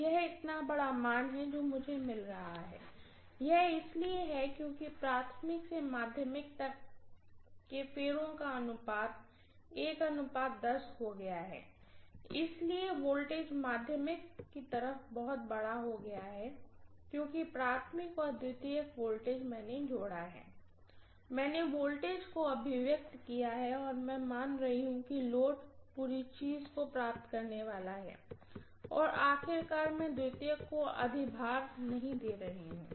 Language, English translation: Hindi, It is such a large value that I am getting, this is because that turn’s ratio of the primary to secondary has become 1 is to 10, so the voltage has become way too large on the secondary side because the primary and secondary voltages I have added, I have summed up the voltage and I am assuming that the load is going to get the entire thing and after all, I am not overloading the secondary